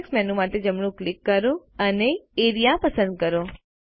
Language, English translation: Gujarati, Right click for the context menu, and select Area